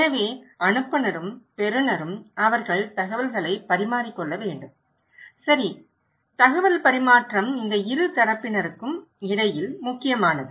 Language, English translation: Tamil, So, sender and receiver they should exchange information, okay, exchange of information is critical between these two parties